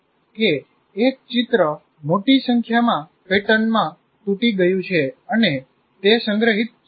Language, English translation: Gujarati, That means as if any picture is broken into large number of patterns and they're stored